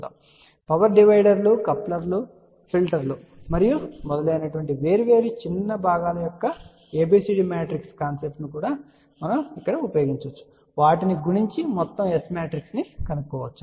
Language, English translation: Telugu, For example, power dividers, couplers, filters and so on and where we are going to apply the concept of ABCD matrices of different smaller components multiply them and get the overall S matrix